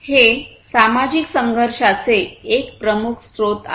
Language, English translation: Marathi, It is one of the major sources of social conflicts